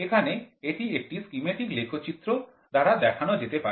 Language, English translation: Bengali, So, here this can be represented by a schematic diagram